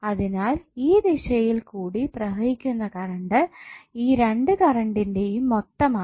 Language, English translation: Malayalam, So the current flowing in this direction would be some of these two currents